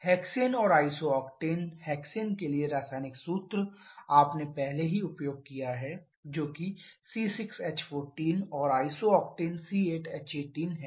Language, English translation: Hindi, So, what will be the chemical reaction chemical formula for hexane and isooctane hexane you have already used which is C6 H14 and isooctane is Ch C8 so H will be 18